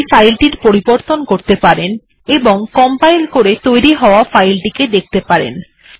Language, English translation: Bengali, You may modify this file, compile and see the results